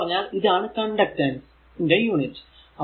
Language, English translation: Malayalam, In short it is s that is the your unit of the conductance